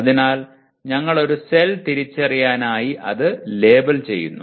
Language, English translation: Malayalam, So we are labeling the, we are able to identify a cell